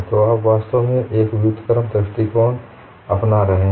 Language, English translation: Hindi, So, what you do in an inverse approach